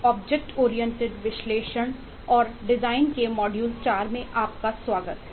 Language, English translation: Hindi, welcome to module 4 of object oriented analysis and design